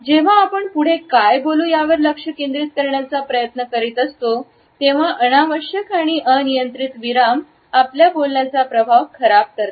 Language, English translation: Marathi, When we are trying to focus on what next to speak are the arbitrary pauses which is spoil the impact of our speech